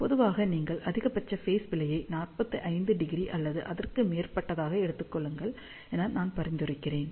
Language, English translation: Tamil, Generally, I recommend that you take maximum phase error as 45 degree or so